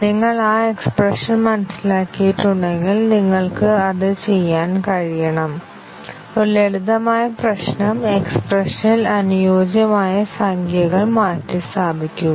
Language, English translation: Malayalam, If you have understood the expression then you should be able to do it; a simple problem, substitution the appropriate numbers into the expression